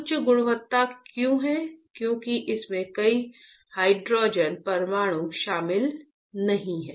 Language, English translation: Hindi, Why there is a higher quality because there is no hydrogen atoms involved in that